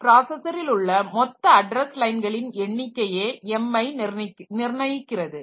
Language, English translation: Tamil, So, m is determined by the total number of address lines that the processor has